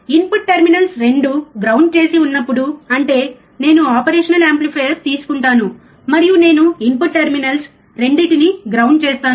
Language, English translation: Telugu, When both the input terminals are grounded right; that means, I take operational amplifier, and I ground both the input terminals